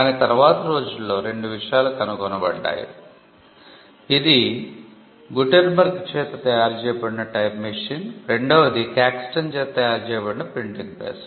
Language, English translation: Telugu, But two things changed, this one was the invention of the movable type by Gutenberg and two the printing press by Caxton